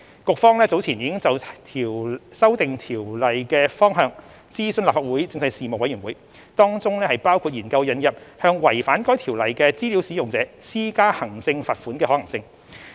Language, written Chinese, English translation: Cantonese, 局方早前已就修訂該條例的方向諮詢立法會政制事務委員會，當中包括研究引入向違反該條例的資料使用者施加行政罰款的可行性。, It consulted the Legislative Council Panel on Constitutional Affairs earlier on the direction of amendments to PDPO including exploring the feasibility of introducing administrative fines for data users who contravene PDPO